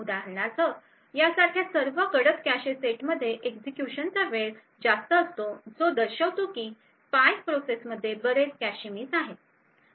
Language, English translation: Marathi, For example all the darker cache sets like these over here have a higher execution time indicating that the spy process has incurred a lot of cache misses